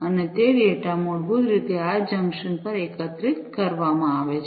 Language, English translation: Gujarati, And those data are basically aggregated at this junction